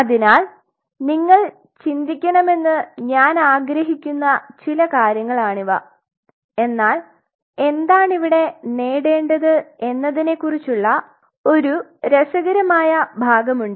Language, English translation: Malayalam, So, these are some of the stuff which I want you guys to think, but then what one has to achieve now here is the interesting part one, one has to achieve